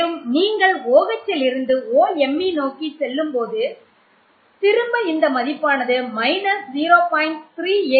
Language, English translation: Tamil, Again when you go from OH to OMe the value again reduces from